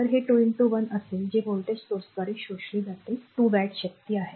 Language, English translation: Marathi, So, it will be 2 into 1 that is 2 watt power absorbed by the voltage source